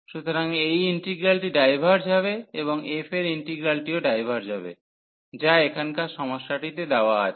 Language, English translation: Bengali, So, this integral will diverge and so the integral over f will also diverge, which is given here in the problem